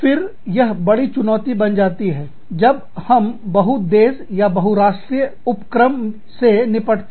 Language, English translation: Hindi, Again, this becomes a big challenge, when we are dealing with, multi country or multi national enterprises